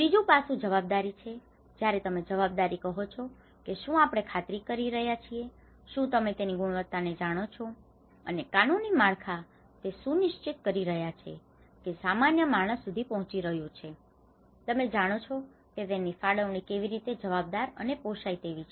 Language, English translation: Gujarati, The third aspect is accountable when you say accountable whether we are making sure that you know this quality and legal frameworks are making sure that it is reaching to the common man, you know how the allocations are being accountable, affordable